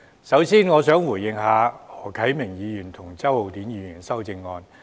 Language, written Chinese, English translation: Cantonese, 首先，我想回應何啟明議員及周浩鼎議員提出的修正案。, First of all I would like to respond to the amendments of Mr HO Kai - ming and Mr Holden CHOW